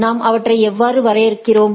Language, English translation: Tamil, So, how we define